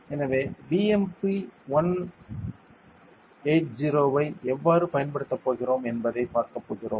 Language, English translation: Tamil, So, we are going to see how we are going to use the BMP180